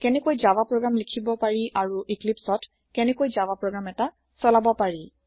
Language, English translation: Assamese, How to Write a java source code and how to run a java program in Eclipse